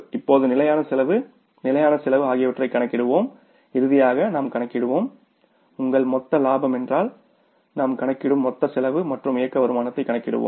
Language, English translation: Tamil, Fixed cost and finally we will calculate the, say your total profit means the total cost we will calculate and we will calculate the operating income